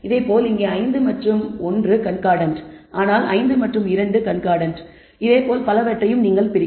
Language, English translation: Tamil, Similarly here it says 5 and 1 are concordant 5 2 are concordant and so, on so, forth